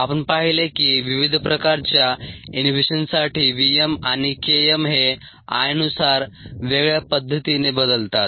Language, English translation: Marathi, you have seen that v m and k m change differently with i for different types of inhibitions